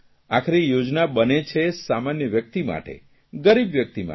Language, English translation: Gujarati, After all, these schemes are meant for common man, the poor people